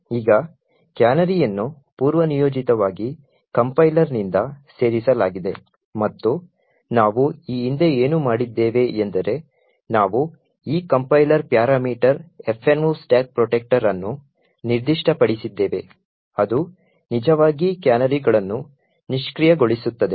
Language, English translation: Kannada, Now canaries is added by the compiler by default and what we have done previously was that we have specified this compiler parameter minus F no stack protector which would actually disable the canaries